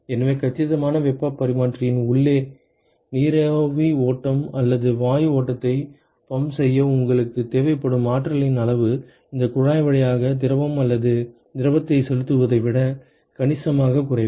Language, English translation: Tamil, So, the amount of energy that you require to pump vapor stream or a gas stream inside the compact heat exchanger is significantly less compared to that of pumping of fluid or a liquid to through this tube